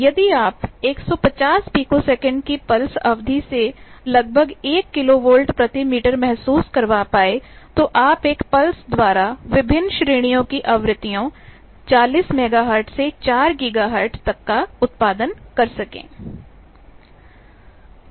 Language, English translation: Hindi, If you can create a kilo volt per meter order of the field with the pulse duration of 150 picoseconds, so that you can produce by one pulse a huge band of frequencies 40 megahertz to 4 gigahertz